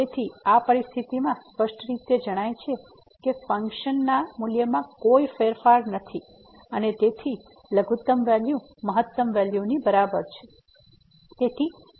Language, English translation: Gujarati, So, in this situation clearly there is no change in the function value and therefore, the minimum value is equal to the maximum value